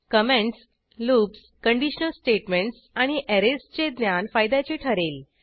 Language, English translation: Marathi, Knowledge of comments, loops, conditional statements and Arrays will be an added advantage